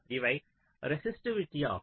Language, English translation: Tamil, these are the resistivity